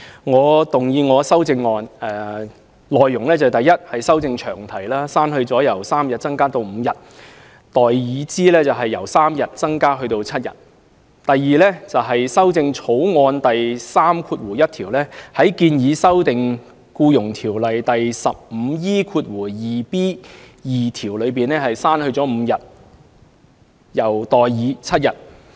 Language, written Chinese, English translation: Cantonese, 我動議我的修正案，第一是修正詳題，刪去"由3日增加至5日"而代以"由3日增加至7日"；第二是修訂《2018年僱傭條例草案》第31條，在建議修訂的《僱傭條例》第 15E2b 條中，刪去 "5 日"而代以 "7 日"。, My first amendment is to amend the long title by deleting from 3 days to 5 days and substituting from 3 days to 7 days . My second amendment is to amend clause 31 of the Employment Amendment Bill 2018 the Bill by deleting 5 days and substituting 7 days in the proposed section 15E2bii of the Employment Ordinance